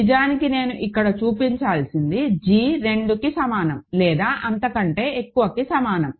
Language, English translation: Telugu, So, actually I should have said here that g assume is actually greater than equal to 2